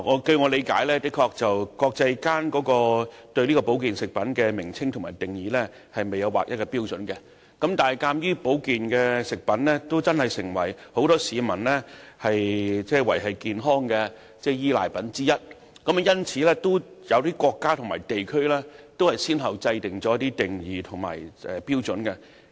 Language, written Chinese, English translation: Cantonese, 據我理解，的確國際上對保健產品的名稱和定義沒有劃一標準。但是，鑒於保健產品已成為不少市民賴以維持健康的產品之一，因此，有些國家及地區先後制訂了一些定義及標準。, As far as I understand it indeed there is no international standard on the name and definition of health products however as health products have become what many people reply upon for health some countries and regions have developed certain definitions and standards